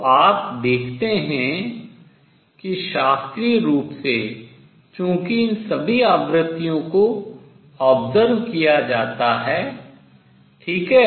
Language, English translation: Hindi, So, you see that classically since all these frequencies are observed, right